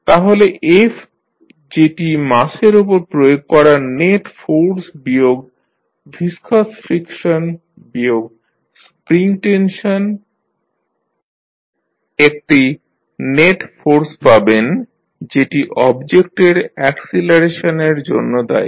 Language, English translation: Bengali, So, f that is the net, that is the force applied on the mass minus the viscous friction minus spring tension you get the net force, which is responsible for acceleration of the object